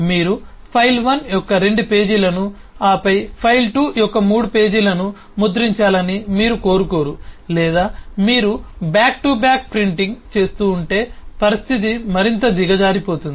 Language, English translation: Telugu, certainly you do not want that you print two pages of file 1 and then three pages of file 2, or if you are doing back to back printing, the situation can get even worse